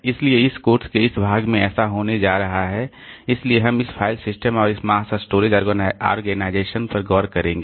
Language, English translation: Hindi, So, this is so what is going to happen and in this part of the course so we'll be looking into this file system and this mass storage organization